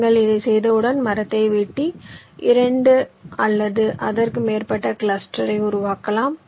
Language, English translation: Tamil, then, once you do this, you can cut the tree to form two or more clusters